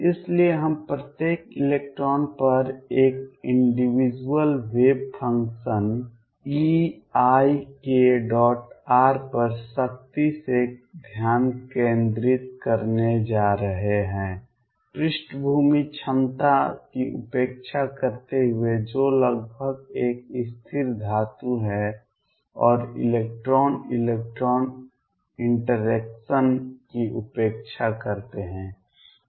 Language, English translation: Hindi, So, we are going to focus strictly on each electron having an individual wave function e raise to i k dot r, neglecting the background potential which is nearly a constant metals and neglecting the electron electron interaction